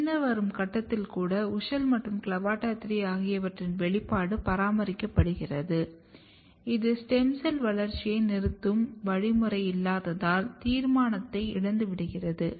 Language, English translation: Tamil, You can see even at the late stage, the expression of WUSCHEL and CLAVATA THREE are maintained which suggest that the determinacy is lost because there is no stem cell termination mechanism